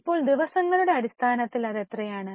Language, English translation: Malayalam, Now, in terms of days how much it is